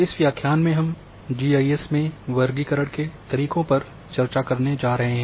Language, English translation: Hindi, Welcome to the new lecture and in this lecture we are going to discuss Classification Methods in GIS